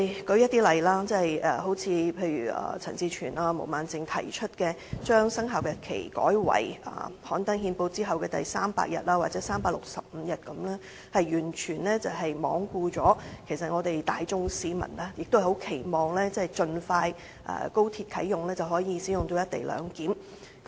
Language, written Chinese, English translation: Cantonese, 例如，陳志全議員及毛孟靜議員提出把生效日期改為於憲報刊登當日後的第300日或立法會通過條例當日後的第365日，是完全罔顧市民期望高鐵盡快啟用，實施"一地兩檢"。, For instance Mr CHAN Chi - chuen and Ms Claudia MO propose to amend the commencement date to the 300 day after the publication of the Ordinance in the Gazette or the 365 day after the Ordinance is passed by the Legislative Council . They completely disregard the public aspiration for the early commissioning of the Express Rail Link XRL and the implementaion of co - location